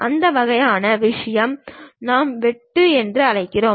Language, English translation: Tamil, That kind of thing what we call cut